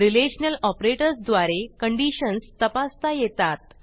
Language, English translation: Marathi, Relational operators are used to check for conditions